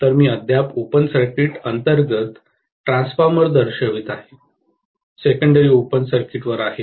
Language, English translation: Marathi, So, I am still showing the transformer under open circuit, the secondary is on open circuit, okay